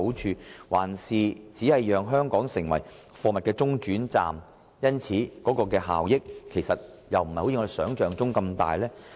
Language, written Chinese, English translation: Cantonese, 抑或只會令香港成為貨物中轉站，而所帶來的經濟效益卻並非如想象般的大呢？, Or will it only make Hong Kong a transit stop for transhipment of goods whereby less - than - expected economic benefits for Hong Kong will be generated?